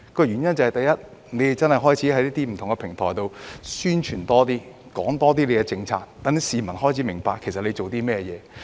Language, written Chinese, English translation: Cantonese, 第一個原因是，政府開始透過不同平台進行更多宣傳，並多講解政府的政策，讓市民開始明白政府正在做甚麼。, The first reason is that the Government has started putting in more publicity efforts through various platforms to explain its policies and people have become aware of what it is doing